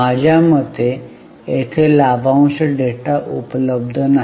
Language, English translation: Marathi, No, dividend data is not available